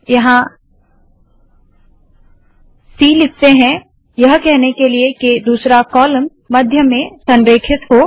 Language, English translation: Hindi, Lets put a c here, to say that the second column should be center aligned